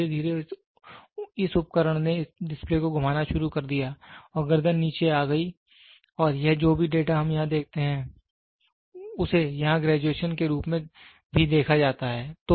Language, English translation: Hindi, And slowly this instrument this display started rotating and the neck came down and this whatever data we see here is also seen as a graduation here